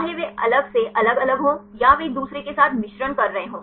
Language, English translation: Hindi, Whether they are separate segregated separately or they are mixing with each other